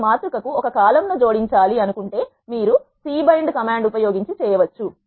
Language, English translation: Telugu, If you want to add a column to a matrix you can do so by using c bind command